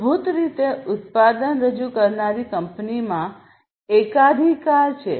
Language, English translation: Gujarati, So, the company which introduced the product basically has monopoly